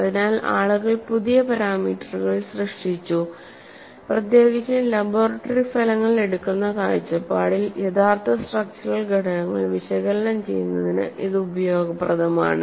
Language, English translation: Malayalam, So, people had coin new parameters, particularly from the point of view of particularly from the point of view of taking the laboratory results, useful for analyzing actual structural components